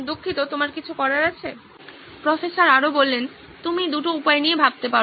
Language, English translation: Bengali, Sorry, you have something to… There are two ways you can go about